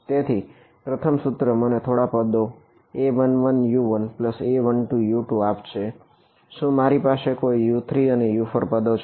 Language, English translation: Gujarati, So, the first equation, it gave me some term A 1 1 U 1 plus A 1 2 U 2, did I have any U 3 and U 4 terms